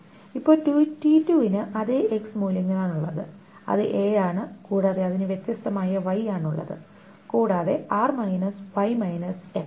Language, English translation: Malayalam, Now the T2 also has the same X value which is A and it has got different y and R minus y